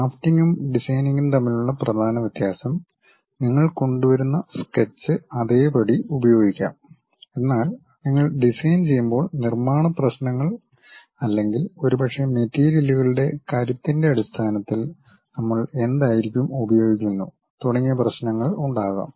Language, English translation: Malayalam, The main difference between drafting and designing is, you come up with a one kind of sketch part it has to be in that way, but when you are designing there might be other issues like manufacturing issues or perhaps in terms of strength of materials what we are using and so on